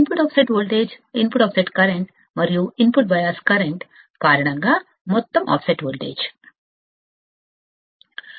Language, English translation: Telugu, The total offset voltage due to input offset voltage, input offset current, and input bias current